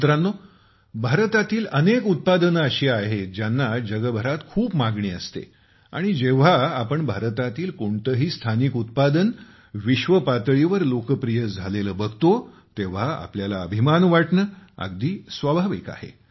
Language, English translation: Marathi, Friends, there are so many products of India which are in great demand all over the world and when we see a local product of India going global, it is natural to feel proud